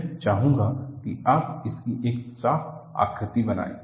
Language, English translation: Hindi, I would like you to make a neat sketch of this